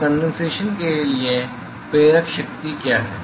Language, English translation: Hindi, So, what is the driving force for condensation